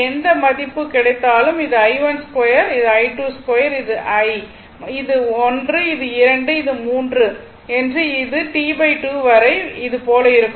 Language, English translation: Tamil, So, whatever value you will get, this is i 1 square, this is i 2, this is 1, this is 2, this is 3 like this up to T by 2 and this is T, right